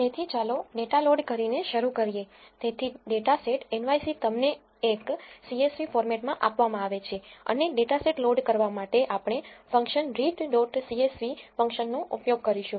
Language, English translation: Gujarati, So, let us start by loading the data so, the data set ‘nyc’ is given to you in a “csv" format and to load the dataset we are going to use the function read dot csv